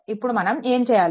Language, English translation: Telugu, Then what we will do